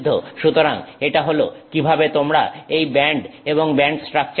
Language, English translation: Bengali, So, that is how you get this bands and band structure